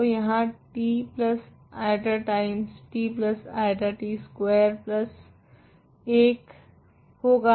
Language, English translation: Hindi, So, here t plus i times t minus i is t squared plus 1